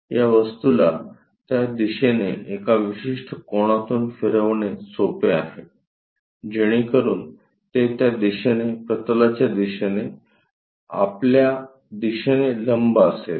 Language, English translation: Marathi, The easy thing is rotate this object by certain angle in that direction so that it will be perpendicular to your view direction, in that direction into that plane direction